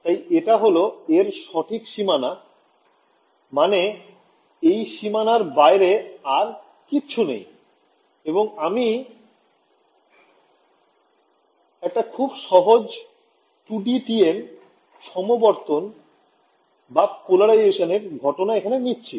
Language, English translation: Bengali, So, this is a right boundary I means there is nothing beyond this boundary and I am taking a simple 2D TM polarization case ok